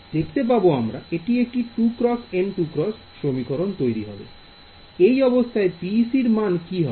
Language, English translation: Bengali, 2N cross 2N right; now in the case of PEC what happens